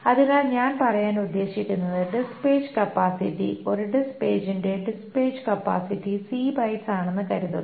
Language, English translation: Malayalam, So what I mean to say is that suppose the disk page capacity, suppose the disk page has a disk page capacity is of C bytes